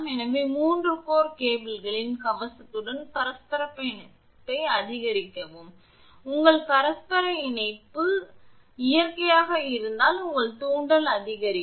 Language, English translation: Tamil, So, increase the mutual coupling with armour of 3 core cable this may be due to an because you have a mutual coupling and if mutual coupling is there naturally that your inductance will increase